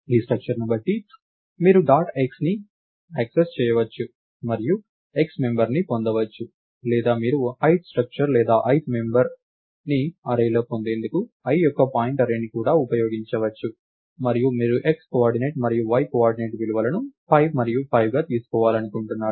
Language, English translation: Telugu, Given that structure, you can access dot x and get the x member or you could even use pointArray of i to get the ith structure or ith member in the array and in that you want the x coordinate and y coordinate to take the values 5 and 5